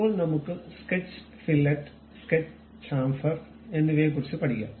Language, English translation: Malayalam, Then we can learn about Sketch Fillet, Sketch Chamfer